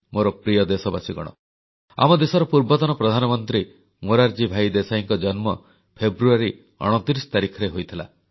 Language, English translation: Odia, My dear countrymen, our former Prime Minister Morarji Desai was born on the 29th of February